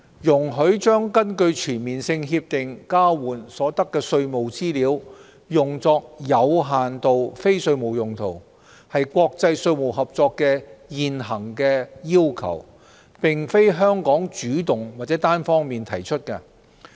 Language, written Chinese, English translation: Cantonese, 容許將根據全面性協定交換所得的稅務資料用作有限度非稅務用途，是國際稅務合作的現行要求，並非香港主動或單方面提出。, Allowing the use of information exchanged under CDTAs for limited non - tax purposes is an existing requirement of international taxation cooperation not a request made by Hong Kong of its own accord or unilaterally